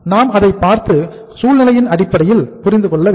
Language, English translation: Tamil, So we will have to see it and we will have to understand it in terms of this situation